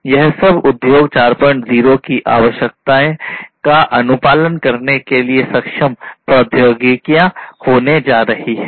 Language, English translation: Hindi, So, these are going to be the enabling technologies for complying with the requirements of Industry 4